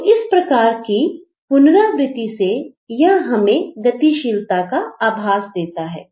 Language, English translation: Hindi, So, through this repetition it gives you a sense of action